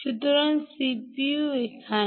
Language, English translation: Bengali, this could be the cpu